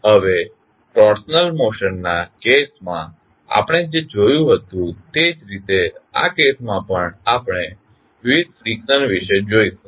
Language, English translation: Gujarati, Now, similar to what we saw in case of translational motion, in this case also we will see various frictions